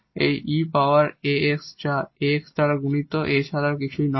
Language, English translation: Bengali, So, here e power a x and this X is nothing but e power a x